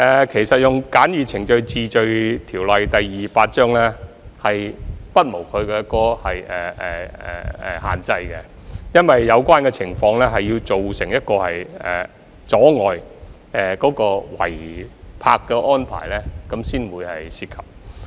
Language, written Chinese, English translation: Cantonese, 其實，引用《簡易程序治罪條例》不無限制，有關情況要造成阻礙、構成違泊才可引用這項條例。, In fact the invocation of the Summary Offences Ordinance Cap . 228 is not without restrictions . Only when obstruction is caused or illegal parking is constituted can we invoke this Ordinance